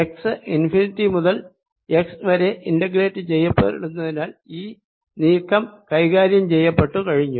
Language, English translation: Malayalam, i am integrating over x and since x is integrated from infinity to x, that movement in is already taken care of